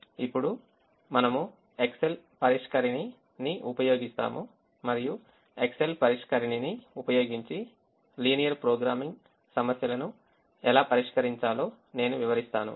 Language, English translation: Telugu, now we will use the excel solver and i will demonstrate how to solve linear programming problems using the excel solver